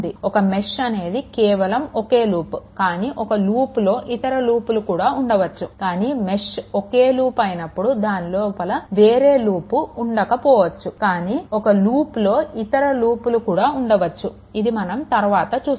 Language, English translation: Telugu, A mesh itself is a single loop right, but but in a loop there may be other loop also right, but whenever the mesh is a single loop there may not be any other loop inside it, but in a loop there may be other loops also later will see that